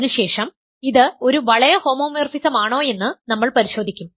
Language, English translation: Malayalam, Now, let us take that, it is a ring homomorphism